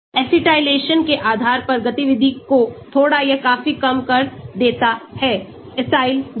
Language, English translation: Hindi, Acylation reduces activity slightly or significantly depending on the Acyl group